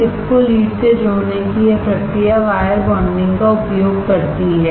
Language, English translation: Hindi, This process of connecting the chip to the lead is using wire bonding